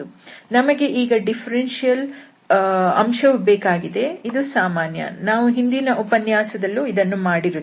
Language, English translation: Kannada, We need this differential element which is standard we have done in the last lecture as well